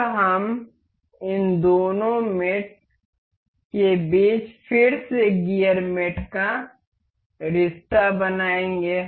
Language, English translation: Hindi, Now, we will make a relation between these two mate again gear mate